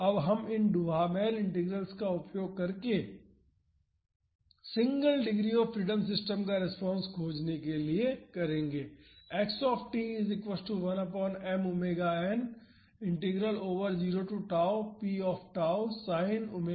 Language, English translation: Hindi, Now, we will use these Duhamel Integrals to find the response of single degree freedom systems